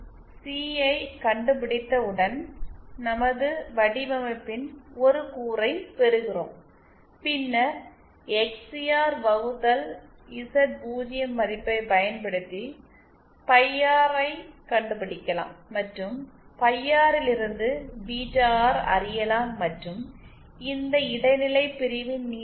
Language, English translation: Tamil, Once we find out C, we get one component of our design and then using the value of XCR upon Z0 we can find out phi R and from phi R we can find out beta R and the length of this intermediate section